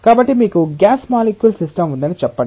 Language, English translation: Telugu, So, let us say that you have a system of gas molecules